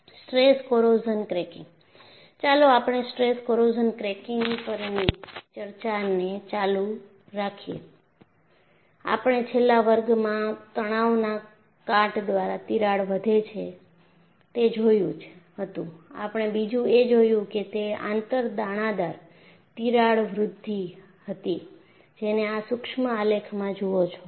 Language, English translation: Gujarati, Let us continue our discussion on stress corrosion cracking, and we have looked at, in the last class, crack grows by a stress corrosion, and we saw that, it was an inter granular crack growth, that is, what you see in this micrograph